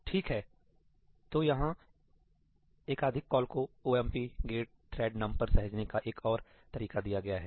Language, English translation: Hindi, Okay, so, here is another way to save those multiple calls to ëomp get thread numí